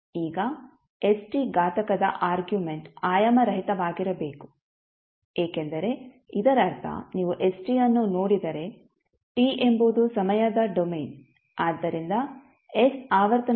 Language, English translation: Kannada, Now, since the argument st of the exponent should be dimensionless that means that if you see st, one t is the time domain, so s would be the dimension of frequency